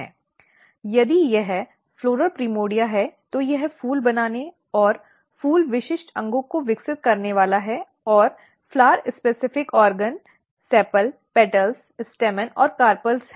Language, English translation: Hindi, If it is floral primordia it is going to make flower if it is going to make flower it has to develop flower specific organs and flower specific organs are basically sepal, petals, stamen and carpals